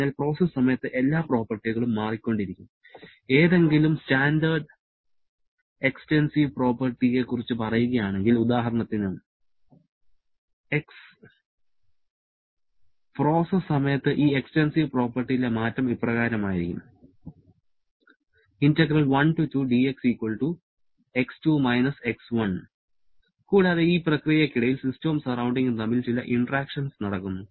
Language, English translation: Malayalam, So, during the process, all properties are changing if we talk about any standard extensive property say X, then the change in this extensive property during the process will be equal to X2 X1 and also certain interactions are taking place between system and surrounding during this